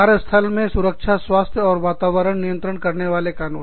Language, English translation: Hindi, The laws governing, safety, health, and environment, in the workplace